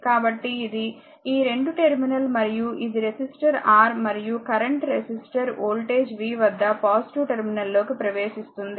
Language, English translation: Telugu, So, that is why this is the current these a 2 terminal, and this is the resistor R and current is entering into the positive terminal across the resistor voltage is v